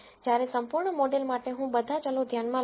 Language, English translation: Gujarati, Whereas, for the full model I take all the variables into account